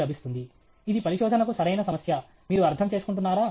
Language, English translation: Telugu, ; that is the right problem for research; are you getting the point